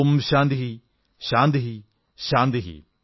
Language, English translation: Malayalam, Om Shanti Shanti Shanti